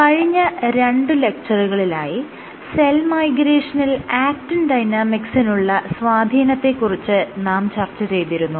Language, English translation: Malayalam, In the last 2 lectures I had discussed Actin Dynamics in cell Migration